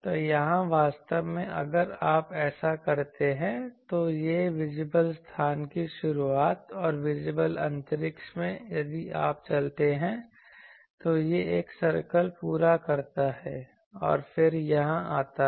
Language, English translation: Hindi, So, here actually if you do this that, so this is the start of visible space and throughout the visible space, if you moves, it moves completes one circle and then come one circle once then again come here